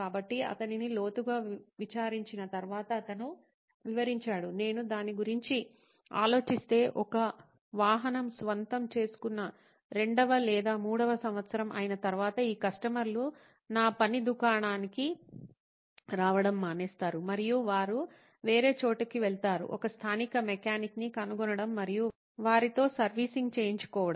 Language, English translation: Telugu, So upon grilling, he told me well, if I think about it, it’s I noticed that after say the 2nd or 3rd year of owning of a vehicle, these customers start dropping off coming to my work shop and they go elsewhere, say find a local mechanic and get their servicing done